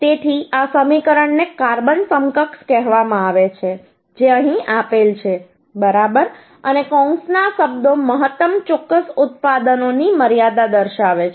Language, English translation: Gujarati, So this summation is called carbon equivalent, which is uhh given here right, and the terms in bracket denote the maximum limit of the flat products